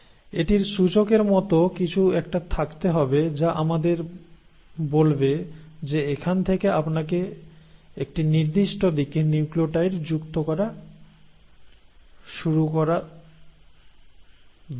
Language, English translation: Bengali, So it has to have some sort of an indicator which will tell us that from here you need to start adding nucleotides in a certain direction